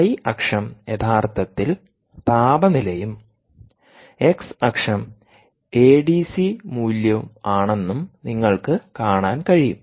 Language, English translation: Malayalam, you can see that ah, um the temperature, the y axis is actually the temperature and the x axis is the a d c value